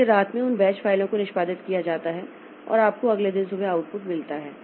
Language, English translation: Hindi, So, at the night those batch files are executed and you get the output in the next day morning